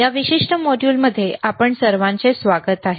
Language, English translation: Marathi, So, welcome for to all of you for this particular module